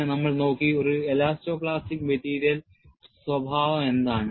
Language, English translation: Malayalam, Then, we looked at, what is an elasto plastic material behavior